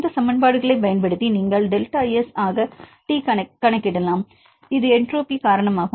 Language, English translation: Tamil, Using these equations you can calculate T into delta S; this is due to entropy